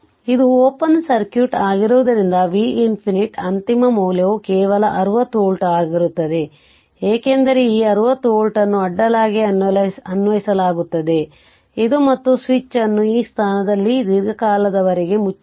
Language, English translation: Kannada, So, as it is open circuit, so V infinity is the final value will be just 60 volt, because this 60 volt is applied across, this and switch was closed at this position for long time that means this is open right, so V infinity will be 60 volt